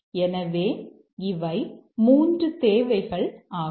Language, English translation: Tamil, So, these are the three requirements